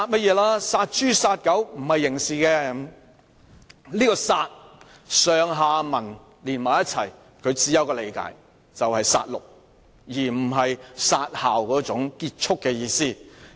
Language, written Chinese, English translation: Cantonese, "根據上文下理，他口中的"殺"字只可以理解為"殺戮"，並非"殺校"中"結束"的意思。, Put into context the word kill uttered by him can only be taken to mean slaughter rather than end as in to kill a school